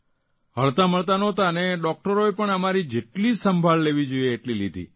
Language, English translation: Gujarati, We wouldn't meet but the doctors took complete care of us to the maximum extent possible